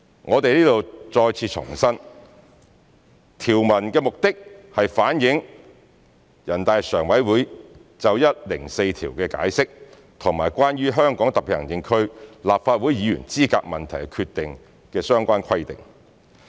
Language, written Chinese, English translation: Cantonese, 我們在此再次重申，條文旨在反映全國人民代表大會常務委員會《解釋》及《關於香港特別行政區立法會議員資格問題的決定》的相關規定。, We reiterate here that the provisions are intended to reflect the relevant provisions of the Interpretation and the Decision on Qualification of Legislative Council Members